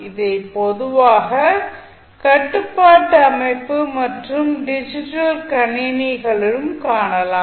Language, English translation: Tamil, Now, it will occur in the circuit generally you will see in the control system and digital computers also